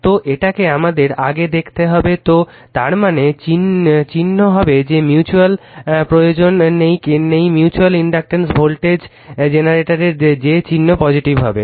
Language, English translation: Bengali, So, this why we have to see first right, so that means, sign will be that mutual you are not required mutual inductance voltage generator that sign will be negative